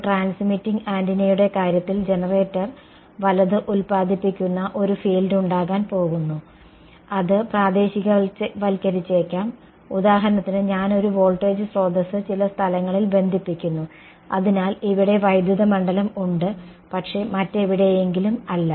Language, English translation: Malayalam, In case of a transmitting antenna there is going to be a field that is produced by the generator right, it may be localized for example, I connect a voltage source across some point, so the electric field here, but not somewhere else